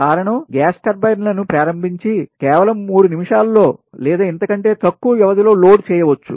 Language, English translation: Telugu, the reason is gas turbines can be started and loaded in just three minutes or less, because it is very it